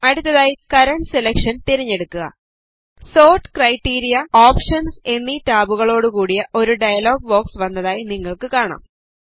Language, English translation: Malayalam, Next Select Current Selection You see that a dialog box appears with tabs as Sort criteria and Options